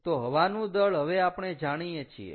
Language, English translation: Gujarati, ok, so mass of air was known